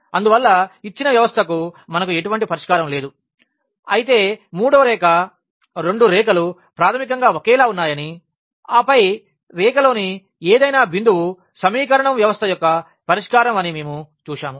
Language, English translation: Telugu, And hence we do not have any solution to the given system whereas, the third case we have seen that that the both lines were basically the same and then any point on the line was the solution of the system of equation